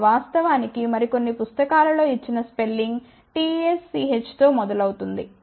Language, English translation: Telugu, And in fact, the spelling given in some of the other books is starts with tsch, ok